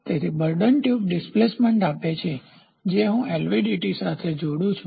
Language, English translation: Gujarati, So, bourdon tube gives me the displacement that I attach it to an LVDT